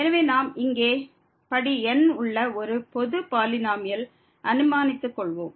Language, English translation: Tamil, So, we assume here a general polynomial of degree